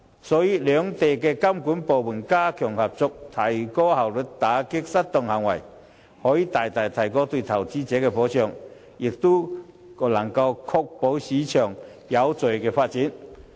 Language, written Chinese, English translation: Cantonese, 所以，兩地監管部門加強合作，提高效率打擊失當行為，可以大大提高對投資者的保障，亦可確保市場有序地發展。, So the strengthening of cooperation between the regulatory authorities in China and Hong Kong to increase the efficiency in combating misconduct can greatly enhance investor protection and can also ensure the orderly development of the market